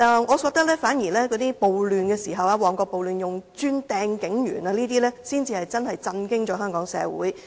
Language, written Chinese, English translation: Cantonese, 我反而覺得，在旺角暴亂中用磚頭擲向警員等行為，才真的震驚香港社會。, On the contrary I think such behaviour as hurling bricks at police officers in the Mong Kok riots has indeed shocked Hong Kong society